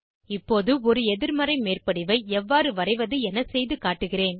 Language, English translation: Tamil, Now, I will demonstrate how to draw a negative overlap